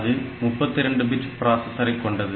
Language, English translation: Tamil, So, its a 32 bit processor